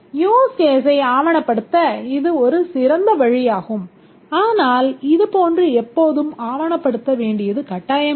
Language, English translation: Tamil, This is a good way to document a use case but it's not a compulsory that we need to document always like this